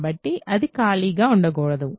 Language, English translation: Telugu, So, it must be non empty